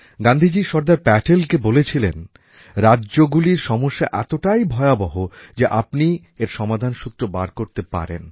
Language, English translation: Bengali, Gandhiji considered Sardar Patel as the only one capable of finding a lasting solution to the vexed issue of the states and asked him to act